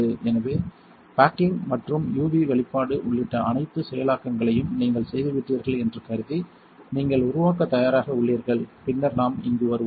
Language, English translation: Tamil, So, assuming you have done all of the processing including the baking and the UV exposure and you are ready to develop then we come over here